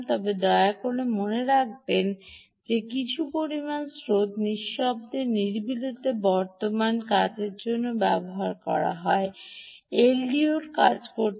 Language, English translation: Bengali, but please note, some amount of current is also consumed quietly, quiescent current for the l d o to function